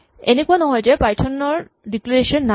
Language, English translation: Assamese, Now it is a not that Python does not have declarations